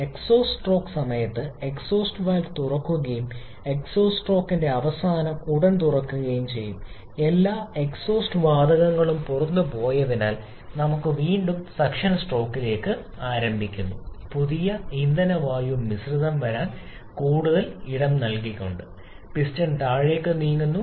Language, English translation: Malayalam, During the exhaust stroke the exhaust valve is open and at the end of exhaust stroke as soon as all the exhaust gases are gone out, we have the suction stroke starting again during the piston is moving down making more space for the new fuel air mixture to come in